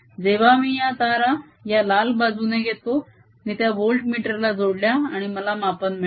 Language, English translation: Marathi, when i took the wires from this red side, i connected this to a voltmeter, i got one reading